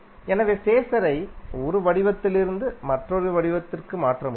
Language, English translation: Tamil, So it is possible to convert the phaser form one form to other form